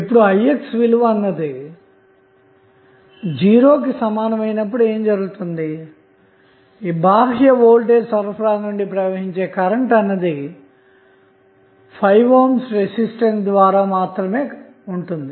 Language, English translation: Telugu, Now, what happens when Ix is equal to 0, you have this component 0, the current which is flowing from external voltage supply V naught would be only through the 5 ohm resistance